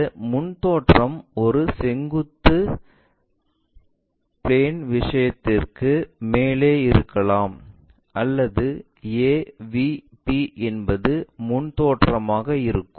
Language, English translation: Tamil, This frontal view can be above vertical plane thing or AVP is frontal view also